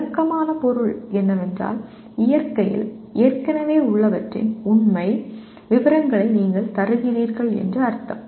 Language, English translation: Tamil, Descriptive means you are giving factual specific details of what already exist in nature